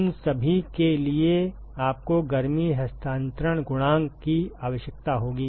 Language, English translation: Hindi, You will require heat transfer coefficient for all of them